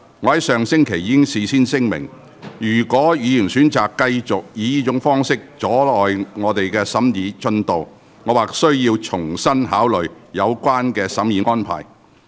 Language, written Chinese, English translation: Cantonese, 我上星期已事先聲明，若議員選擇繼續以這種方式阻礙本會審議《條例草案》的進度，我或須重新考慮有關的審議安排。, As I have stated in advance last week I may have to reconsider the scrutiny arrangement if Members choose to continue obstructing the scrutiny progress of the Bill by this Council in this manner